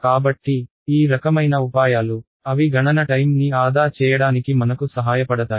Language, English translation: Telugu, So, these kinds of tricks, they help us to save a lot of computational time right